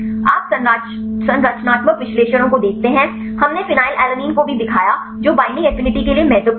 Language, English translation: Hindi, You see the structural analyses, we also showed the phenylalanine, its important for the binding affinity